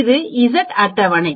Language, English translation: Tamil, This is the Z table